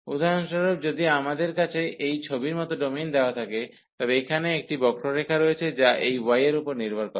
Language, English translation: Bengali, And if we have for example the domain given in this figure, so here there is a curve which depends on this y